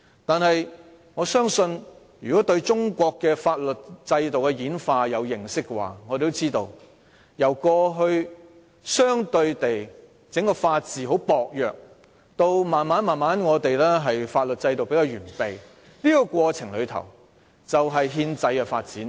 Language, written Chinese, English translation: Cantonese, 但是，我相信對中國法律制度的演化有認識的同事也知道，中國過去法治相對薄弱，逐漸發展出比較完備的法律制度，這就是憲制發展的過程。, Nevertheless I believe Honourable colleagues who have knowledge of the evolution of Chinas legal system will know that China has evolved from having a relatively weak sense of rule of law to gradually developing a relatively comprehensive legal system . This is the process of constitutional development